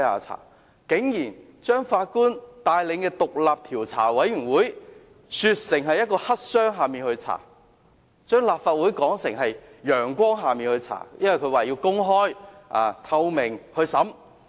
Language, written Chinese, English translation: Cantonese, 他們竟把法官帶領的獨立調查委員會說成黑箱，將立法會的調查說成是陽光下的調查，因為可以公開透明地調查。, How can they describe the inquiry conducted by the independent judge - led Commission of Inquiry as black - box operation and the inquiry conducted by the Legislative Council as an open and transparent inquiry conducted under the sun?